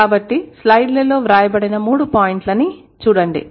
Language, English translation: Telugu, So, look at the three points written on the slides